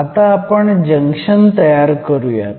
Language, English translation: Marathi, So, let me form the junction